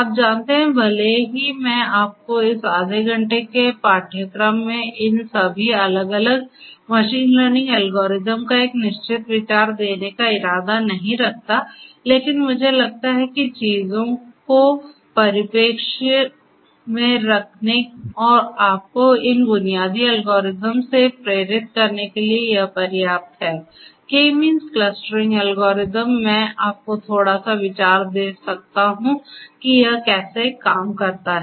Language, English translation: Hindi, You know even though I do not intend to give you a definitive idea of all these different machine learning algorithms in this half an hour course, but I think in order to keep things in perspective and to motivate you enough one of these basic algorithms the K means clustering algorithms I can give you little bit of idea about how it works